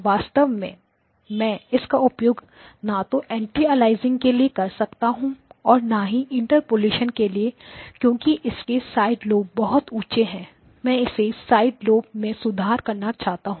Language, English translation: Hindi, And I cannot really use it for either anti aliasing or for interpolation because the side lobes are too high I need to improve the side lobes